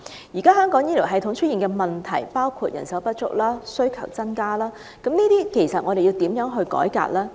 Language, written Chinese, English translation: Cantonese, 現時香港醫療系統出現包括人手不足及需求增加的問題，我們該如何作出改革呢？, Our healthcare system is now facing many problems like manpower shortage and increasing service demand and how should a healthcare reform be implemented?